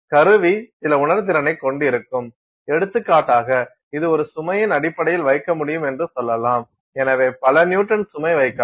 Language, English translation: Tamil, The instrument will have some sensitivity, it will say it applying a load, for example, it will say that it can put in terms of a load so, many Newton’s it can put